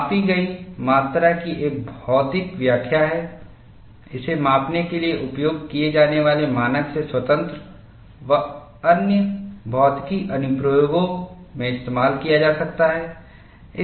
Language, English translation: Hindi, The quantity measured has a physical interpretation, independent of the standard used to measure it, that can be used in other physics applications